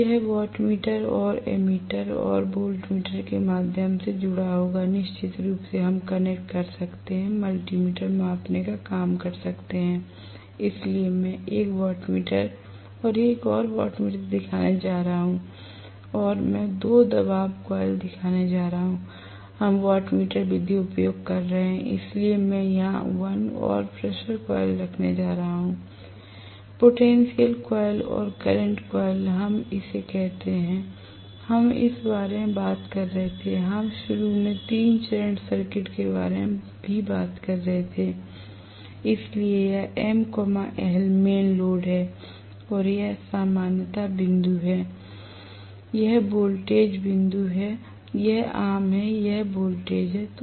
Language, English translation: Hindi, Now, this will be connected through wattmeter and ammeter and voltmeter, of course, we can connect or multi meter can do the job of measuring, so I am going to show 1 wattmeter 1 more wattmeter and I am going to show the pressure coil two wattmeter method we are using, so I am going to have 1 more pressure coil here, potential coil and current coil right, we call this, we were talking about this, when we are, we were initially talking about 3 phase circuits also, so this is M, L, mains load and this is going to be the common point and this is the voltage point this is common this is voltage